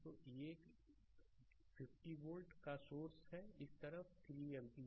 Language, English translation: Hindi, So, an 50 volt source is there this side 3 ampere